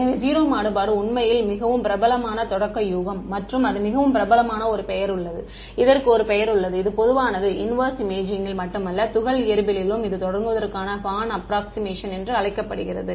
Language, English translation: Tamil, So, 0 contrast is actually is the most popular starting guess and there is a name it is so popular there is a name for it which is common in not just in inverse imaging, but also in particle physics, it is called the Born approximation right to begin with